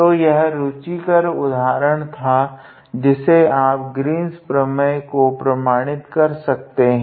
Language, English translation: Hindi, So, this was an interesting example where you verify the Green’s theorem